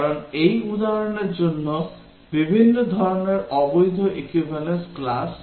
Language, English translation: Bengali, We need to really define different types of invalid equivalence classes